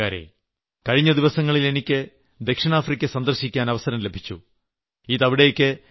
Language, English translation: Malayalam, My dear countrymen, I had the opportunity to visit South Africa for the first time some time back